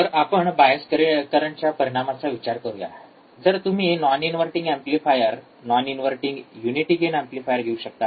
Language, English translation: Marathi, Ah so, let us consider the effect of bias currents, if you could take a non inverting amplifier, non inverting unity gain amplifier